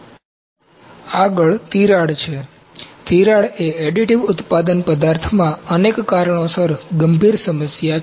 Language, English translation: Gujarati, Next is cracks, cracking is a serious problem in additive manufacturing materials forming due to several reasons